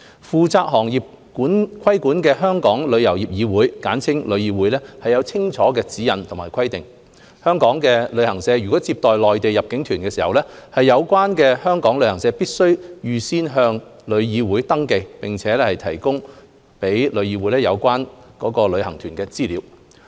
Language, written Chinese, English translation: Cantonese, 負責行業規管的香港旅遊業議會有清楚指引和規定，香港旅行社如接待內地入境旅行團，有關香港旅行社必須預先向旅議會登記，並提供予旅議會有關該旅行團的資料。, The Travel Industry Council of Hong Kong TIC which is responsible for regulation of the trade has clear guidelines and directives requiring that travel agents in Hong Kong should whenever receiving Mainland inbound tour groups register with and provide to TIC the relevant information of such tour groups in advance